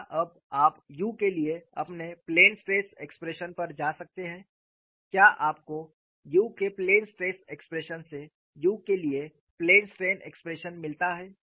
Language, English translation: Hindi, Can you now go to your plane stress expression for nu can you get from plane stress expression for you to plane strain expression for nu